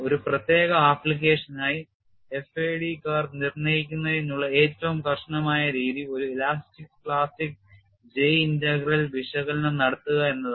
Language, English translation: Malayalam, The most rigorous method to determine the FAD curves for a particular application is to perform an elastic plastic J integral analysis